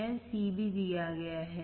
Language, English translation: Hindi, C is also given